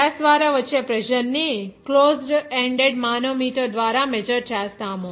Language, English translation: Telugu, The pressure exerted by the gas is measured by a closed ended manometer